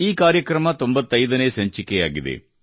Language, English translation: Kannada, This programmme is the 95th episode